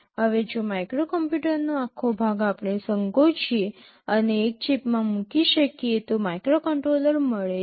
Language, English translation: Gujarati, Now, if the whole of the microcomputer we can shrink and put inside a single chip, I get a microcontroller